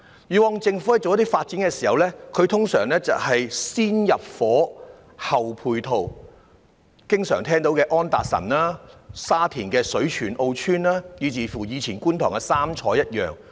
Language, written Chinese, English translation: Cantonese, 以往政府進行發展時，通常會"先入伙，後配套"，例如經常聽到的安達臣道、沙田的水泉澳邨，以及過去觀塘的"三彩"。, In past Government developments the usual practice was moving people in first providing ancillary facilities later . Some examples are the oft - mentioned developments of Anderson Road Shui Chuen O Estate in Sha Tin and the Three Choi Estates in Kwun Tong